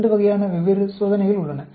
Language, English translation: Tamil, There are two different types of test